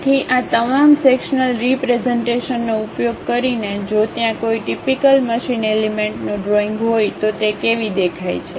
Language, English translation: Gujarati, So, using all these sectional representation; if there is a drawing of typical machine element, how it looks like